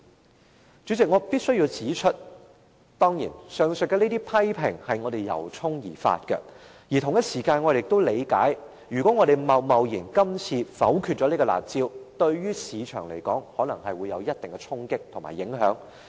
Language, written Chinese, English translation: Cantonese, 代理主席，我必須指出，上述批評是我們由衷而發的；我們同時亦理解，如果今次貿貿然否決了"辣招"，可能會對市場帶來一定衝擊和影響。, Deputy President I must say that the above criticisms are sincerely made . We also understand that if we reject the proposed curb measure hastily it might create certain effect or impact on the market